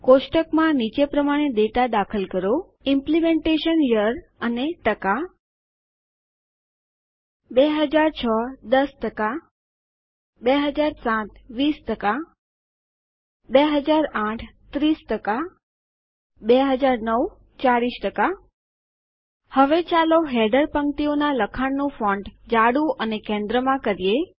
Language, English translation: Gujarati, Enter data into the table as shows Implementation Year and#160% 2006 10% 2007 20% 2008 30% 2009 40% Now lets change the font of the header row to bold and center the text